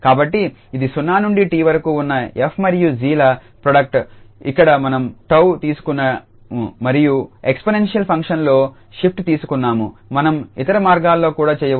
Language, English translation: Telugu, So, this is the product of f and g 0 to t then here we have taken tau and shift we have taken in exponential function we can do the way round as well